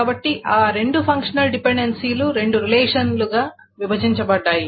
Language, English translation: Telugu, So those two functional dependencies are broken into two relations